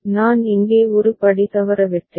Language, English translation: Tamil, I missed one step here